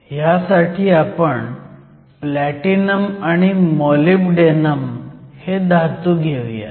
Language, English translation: Marathi, This is Platinum and then this is Molybdenum